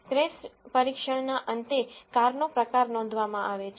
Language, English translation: Gujarati, At the end of the crash test, the type of the car is noted